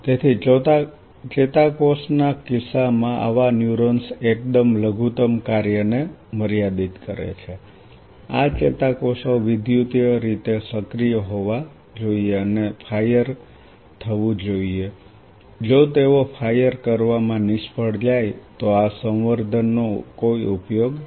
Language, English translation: Gujarati, So, in case of neuron one such rate limiting bare minimum function is these neurons should be electrically active and should fire if they fail to fire then these cultures are of no use